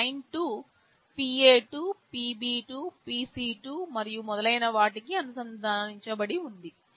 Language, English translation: Telugu, Line2 is connected to PA2, PB2, PC2, and so on